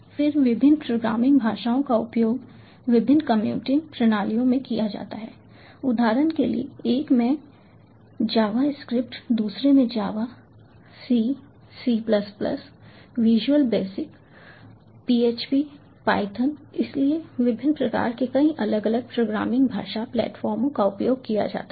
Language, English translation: Hindi, then different programming languages are used in different computing systems, for example javascript in one java in another c, c plus plus, visual basic, php, python, so many different programming languages, platforms of different kinds are used